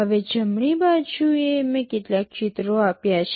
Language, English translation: Gujarati, Now on the right side I have given some pictures